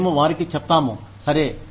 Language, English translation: Telugu, We tell them, okay